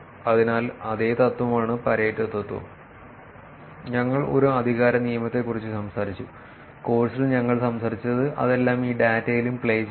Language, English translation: Malayalam, So, it is the same principle Pareto principle that we talked about a power law that we talked about in the course all of that is playing into this data also